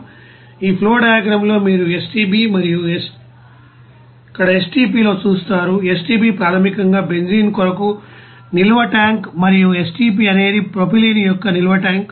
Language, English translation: Telugu, You will see that in this flow diagram here you will see that on STB and here STP, STB is basically the storage tank for benzene and STP is the storage tank of propylene